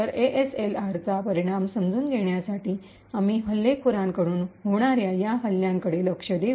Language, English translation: Marathi, So, in order to understand the impact of ASLR, we would look at these attacks from the attackers prospective